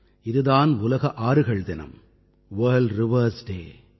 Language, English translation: Tamil, That is World Rivers Day